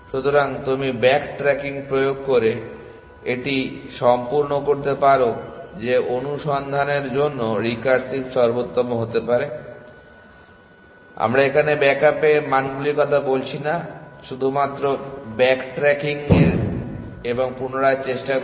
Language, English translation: Bengali, So, you can make it complete by introducing back tracking that a little bit like what recursive best for search would have done no we are not talking about the backed up values just back trucking and retry